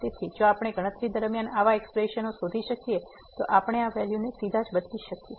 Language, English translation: Gujarati, So, if we find such expressions during the calculations we can directly substitute these values